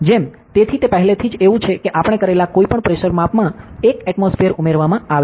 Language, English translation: Gujarati, So, like, so it is already like 1 atmosphere is added to any pressure measurement we do